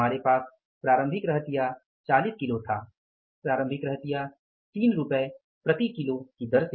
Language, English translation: Hindi, We had the opening stock of the 40 kages opening stock at rupees 3 per kage